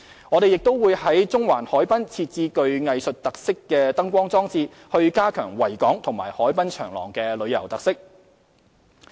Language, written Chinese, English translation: Cantonese, 我們亦會在中環海濱設置具藝術特色的燈光裝置，以加強維港和海濱長廊的旅遊特色。, We will also enhance the tourism characteristics of the Victoria Harbour and the waterfront promenade through the provision of light installations with artistic characteristics at the promenade